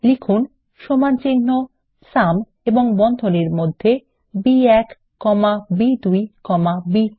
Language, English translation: Bengali, Type is equal to SUM, and within the braces, B1 comma B2 comma B3